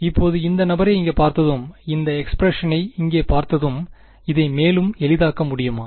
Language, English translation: Tamil, Now, having seen this guy over here and having seen this expression over here, can we further simplify this